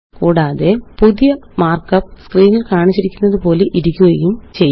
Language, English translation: Malayalam, And, thus the new mark up looks like as shown on the screen